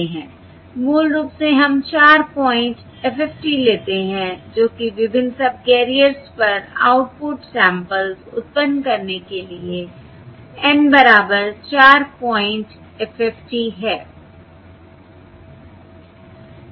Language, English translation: Hindi, Basically, we take the a 4 point FFT, that is N equal to 4 point FFT, to generate the output samples on the various subcarriers